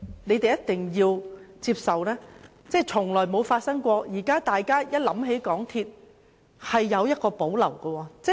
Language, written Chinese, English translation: Cantonese, 我們一定要接受一點，就是市民現時想起港鐵公司，是有所保留的。, We must accept the fact that at present members of public have reservations about MTRCL